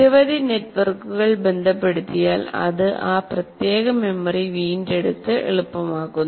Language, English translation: Malayalam, The more number of networks it gets associated, it makes the retrieval of that particular memory more easy